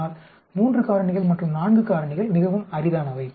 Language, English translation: Tamil, But 3 factors and 4 factors are very, very rare